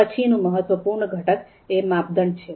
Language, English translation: Gujarati, Then the next important component is the criteria